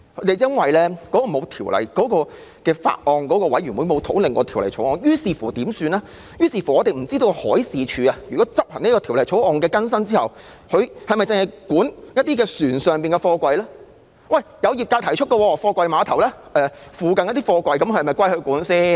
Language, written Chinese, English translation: Cantonese, 由於沒有法案委員會討論《條例草案》，於是我們不知道海事處在執行《條例草案》的更新修訂後，是否會管轄船上的貨櫃；業界亦有提出疑問：貨櫃碼頭附近的貨櫃是否由海事處管理？, As the Bill has not been discussed by a Bills Committee we do not know whether the Marine Department will inspect the containers on board vessels upon the enforcement of the updated amendments of the Bill . The industry has also raised the query of whether the containers near the container terminal will be under the purview of the Marine Department